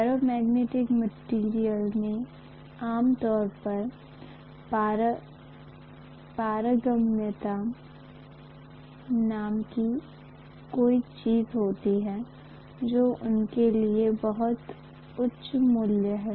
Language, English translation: Hindi, The ferromagnetic material generally have something called permeability which is a very very high value for them